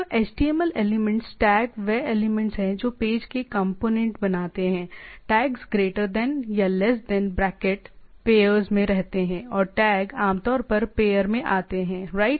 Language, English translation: Hindi, So, HTML elements, tags are the elements that create components of the page, tag surrounded by a greater than and less than and greater than bracket usually come in pairs right